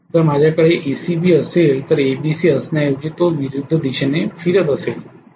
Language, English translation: Marathi, Instead of having ABC if I am having ACB that means if it is rotating in the opposite direction